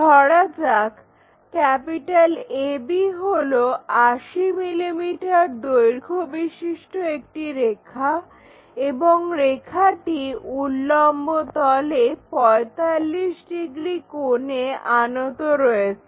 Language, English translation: Bengali, Here, there is a line AB, which is 80 mm long and makes 45 degrees inclination with vertical plane